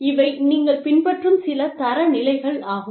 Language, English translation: Tamil, And, these are some of the standards, that you follow